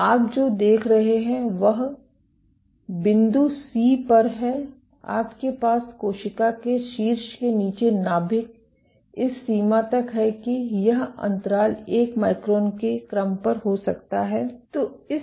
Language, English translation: Hindi, So, what you see is at point C you have the nucleus right underneath the top of the cell to the extent that this gap can be on the order of 1 micron